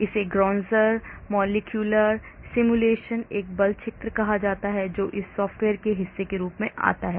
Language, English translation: Hindi, this is called GROninger Molecular Simulation a force field that comes as part of this software